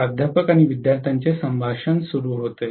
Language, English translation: Marathi, [Professor student conversation starts] Yes